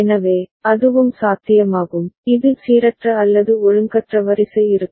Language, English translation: Tamil, So, that is also possible in that case, it is random or irregular sequence will be there